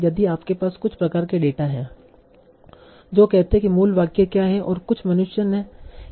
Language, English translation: Hindi, If you have some sort of data that says, okay, what is the original sentence and how did some human simplify that